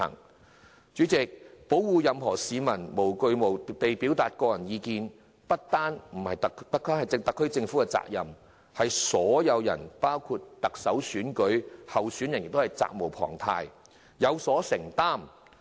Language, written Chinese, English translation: Cantonese, 代理主席，保護任何市民無畏無懼地表達個人意見，不單是特區政府的責任，所有人包括特首候選人亦責無旁貸，有所承擔。, Deputy President it is not merely the SAR Government which has the responsibility to protect peoples right to express their personal views freely without fear all other people including the Chief Executive candidates have the duty to do so